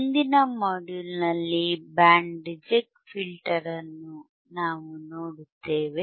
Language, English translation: Kannada, So, in the next module, we will see what is band reject filter